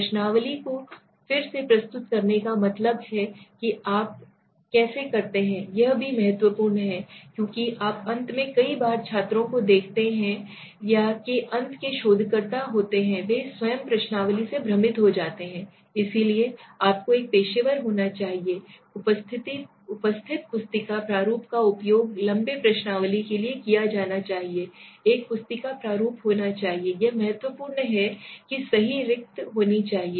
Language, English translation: Hindi, Reproducing the questionnaire means finally how do you place now that is also important because you see many a times students at the end of the day are or researcher at the end of the day they get confused by the own questionnaires so for example you should have a professional appearance booklet format should be used for long questionnaires is a booklet format should be there it is not key you place it in anywhere you like and there should be proper spacing right